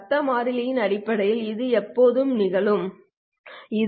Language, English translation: Tamil, When will this happen in terms of the noise variable when n1 is less than ITH minus r p1r